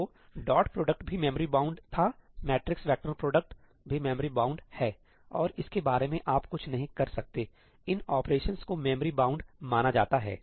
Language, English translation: Hindi, So, dot product was also memory bound, matrix vector product is also memory bound and there is nothing you can do about it, these operations are known to be memory bound